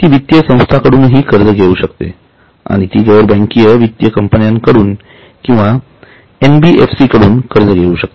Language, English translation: Marathi, It can also take loans from financial institutions, it can take loans from non banking financial companies or NBFCs as they are known as